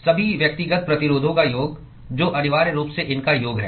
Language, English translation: Hindi, Sum of all the individual resistances, which is essentially sum of these